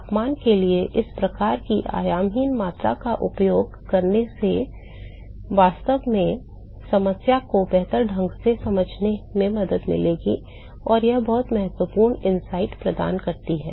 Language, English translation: Hindi, That using such a type of dimensionless quantity for temperature will actually helps in understanding the problem better and it gives much better insights